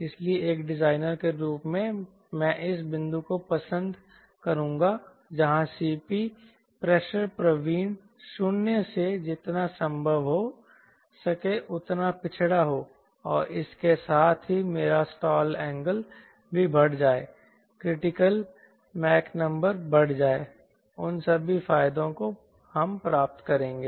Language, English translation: Hindi, so as a designer, i would like this point where the c p, the pressure proficient, is zero, to be as backward as possible, right, and with this as so that my stall angle also increases, critical mach number increases, all those advantages will get